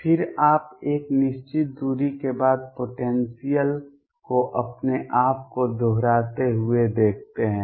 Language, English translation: Hindi, Then you see after a certain distance the potential repeat itself